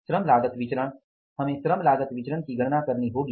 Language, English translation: Hindi, We will have to calculate the labor cost variance